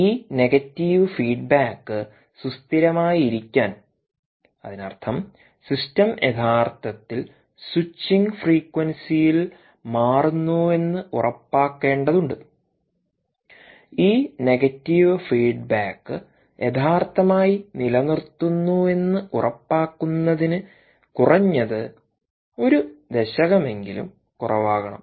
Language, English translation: Malayalam, moreover, this negative feedback to be stable means you have to ensure that the system indeed is switching lower the switching frequency is indeed at least a decade lower in order to ensure that this negative feedback keeps the actual remains stable